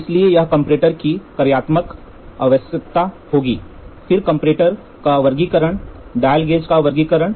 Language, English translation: Hindi, So, here the contents will be functional requirements of comparator, then classifications of comparator, dial gauge